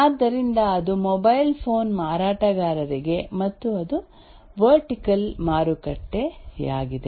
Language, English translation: Kannada, So that is for the mobile phone vendors and that is also a vertical market